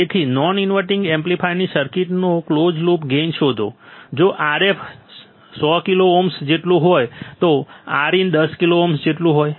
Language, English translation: Gujarati, So, find the closed loop gain of following non inverting amplifier circuit if Rf equals to 100 kilo ohms, Rin equals to 10 kilo ohm